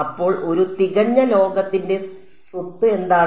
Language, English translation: Malayalam, So, what is the property of a perfect metal